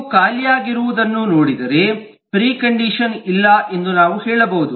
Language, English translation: Kannada, if you look at empty, we can say that there is not precondition